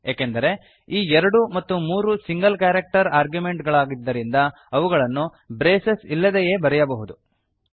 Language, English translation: Kannada, Because these 2 and 3 are single character arguments its possible to write them without braces